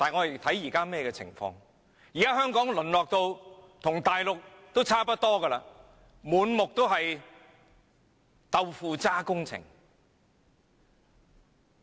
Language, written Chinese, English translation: Cantonese, 現時香港已淪落至與內地差不多的地步，滿目皆是"豆腐渣"工程。, Today Hong Kong has almost degenerated to the same extent as the Mainland where tofu - dreg projects are found all over the place